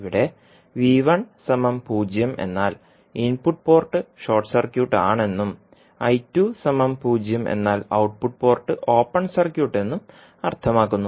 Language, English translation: Malayalam, That means you set the output port short circuit or I1 is equal to 0 that is input port open circuit